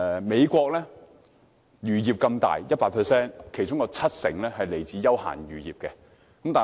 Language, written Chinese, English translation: Cantonese, 美國有龐大漁業，當中有七成屬於休閒漁業。, The United States has a big fishing industry with 70 % being leisure fishery